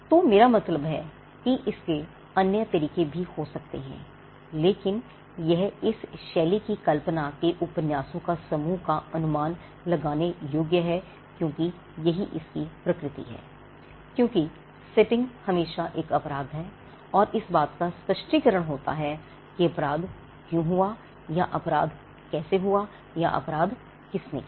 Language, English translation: Hindi, So, I mean there could be other ways of this, but it is this genre this group of fiction is predictable by it is nature because, the setting is always a crime and there is an explanation of why the crime happened or how the crime happened or who did the crime